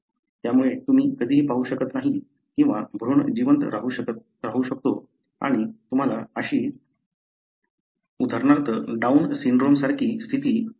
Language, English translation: Marathi, Therefore you never see or the embryo may survive and you may have a condition, like for example Down syndrome